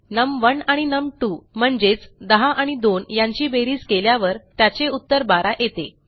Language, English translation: Marathi, 10 and 2, num1 and num2, when 10 and 2 are added, the answer is 12